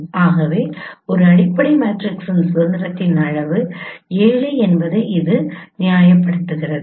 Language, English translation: Tamil, So this just justify how also this is also corroborating the fact that degree of freedom of a fundamental matrix is 7